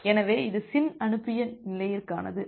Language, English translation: Tamil, So, that is for SYN sent state